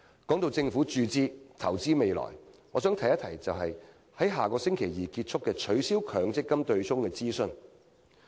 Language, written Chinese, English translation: Cantonese, 談到政府注資及投資未來，我想提一提將於下星期二結束的"取消強積金對沖"諮詢。, On the subject of the Governments funding provisions for investment in the future I would like to say a few words about the ongoing consultation on abolishing the MPF offsetting mechanism which is due to end next Tuesday